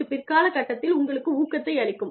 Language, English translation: Tamil, And, that will give you boost, at a later stage